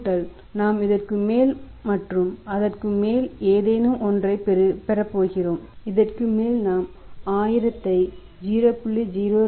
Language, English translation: Tamil, 2 right plus we are going to have something over and above and over and above this we are going to have 1000 then into 0